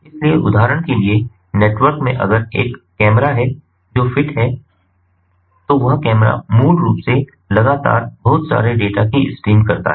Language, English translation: Hindi, for example, if there is a camera, if there is a camera that is fitted so that camera basically streams in lot of data continuously